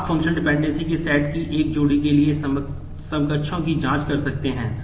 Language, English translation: Hindi, You can check for equivalents for a pair of sets of functional dependencies